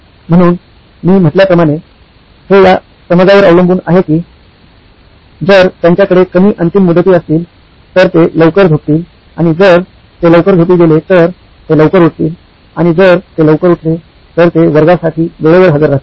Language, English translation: Marathi, So as I said, this relies on the assumption that if they had less deadlines, they would sleep early and if they slept early, they would wake up early and if they wake up early, they are on time for the class